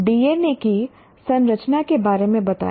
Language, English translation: Hindi, Explain the structure of DNA